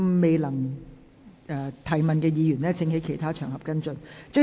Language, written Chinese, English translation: Cantonese, 未能提問的議員請在其他場合跟進。, Members who were unable to ask questions please follow up on other occasions